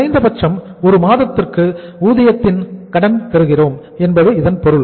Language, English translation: Tamil, It means at least for a period of how much 1 month we are getting the credit of the wages